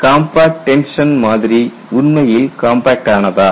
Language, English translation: Tamil, Is the compact tension specimen really compact